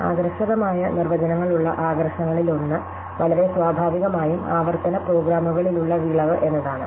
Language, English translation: Malayalam, So, one of the attractions of having inductive definitions is that they yield in a very natural way recursive programs